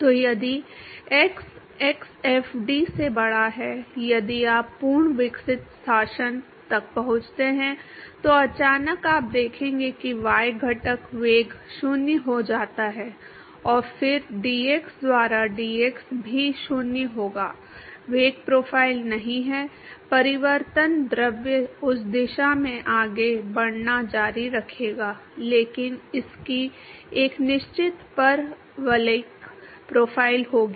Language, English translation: Hindi, So, then if x is greater than x fd if you reach the fully developed regime, so, suddenly you will see that the y component velocity goes to 0 and then will have du by dx also will be 0, the velocity profile does not change the fluid will continued to move in that direction, but it will have a definite parabolic profile